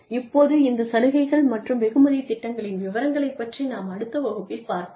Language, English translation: Tamil, Now, we will look at, the detail of these incentives and reward plans, in the next class